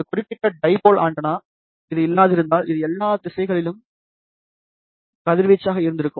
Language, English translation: Tamil, Let us say if this particular dipole antenna had this been not there, it would have radiated in all the direction